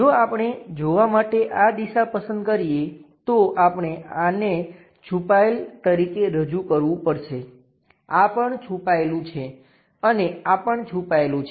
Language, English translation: Gujarati, If we are picking this direction for the view, we have to represent this one also hidden, this one also hidden and also this one also hidden